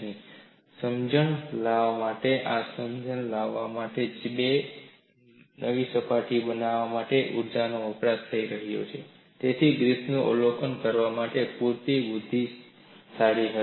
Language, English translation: Gujarati, To bring in this understanding, Griffith was intelligent enough to appreciate, that energy is being consumed to create two new surfaces